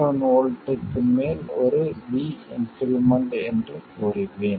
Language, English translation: Tamil, 7 volts, I will say that it is 1 volt increment over 5